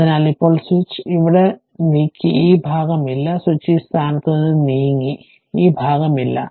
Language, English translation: Malayalam, So, now now switch has moved here this part is not there, switch has moved from this position, so this part is not there